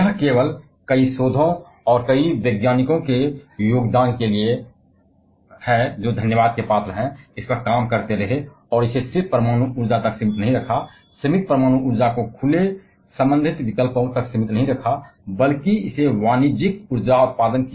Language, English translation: Hindi, It is only thanks to the contribution of several researches and several scientists, who kept on working on this and didn't just kept it limited to atomic energy, didn't kept limited atomic energy to the open related options, whether divert it to the commercial power generation